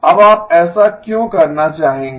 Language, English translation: Hindi, Now why would you want to do that